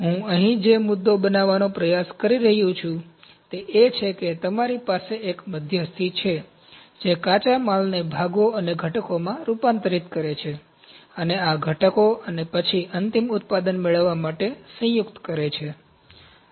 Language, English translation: Gujarati, The point I am trying to make here is that you have a middleman who convert the raw materials into parts and components this is component 1, this is component 2, and these components and then combined to get the final product